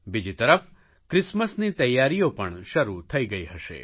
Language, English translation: Gujarati, On the other hand Christmas preparations must have started too